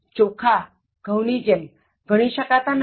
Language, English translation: Gujarati, Rice like wheat is uncountable